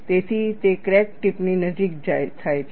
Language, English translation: Gujarati, So, that is what happens near the crack tip